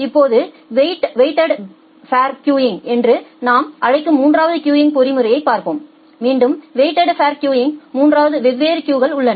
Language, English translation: Tamil, Now, let us see the third queuing mechanism which we call as the weighted fair queuing, again in the case of weighted fair queuing we have 3 different queues